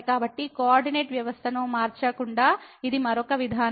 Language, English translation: Telugu, So, this is another approach without changing to the coordinate system